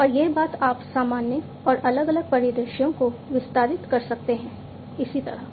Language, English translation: Hindi, And this thing you can generalize and extend to different, different scenarios, likewise